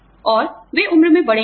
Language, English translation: Hindi, And, they are older in age